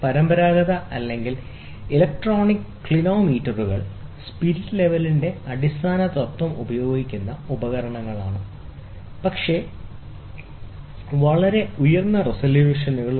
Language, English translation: Malayalam, Conventional or electronic clinometers are instruments employed the basic principle of spirit level, but with very high resolutions